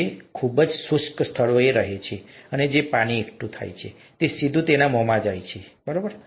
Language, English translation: Gujarati, It lives in very arid places and the water that is collected directly goes into it's mouth and so on